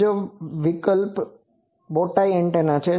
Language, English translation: Gujarati, Another option is bowtie antenna